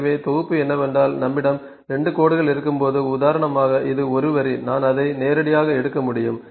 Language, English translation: Tamil, So, assembly is that when we have 2 lines for instance this is 1 line I can just pick it directly